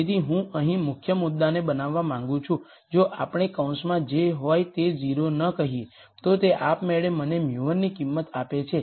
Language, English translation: Gujarati, So, the key point that I want to make here is if we say whatever is in the bracket is not 0, then that automatically gives me the value for mu 1